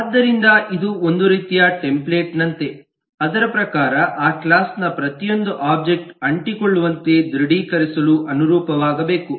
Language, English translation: Kannada, so it is a kind of like a template according to which every object of that class have to correspond, to have to adhere, to have to confirm